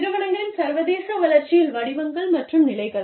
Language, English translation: Tamil, The firm's forms and stages of international development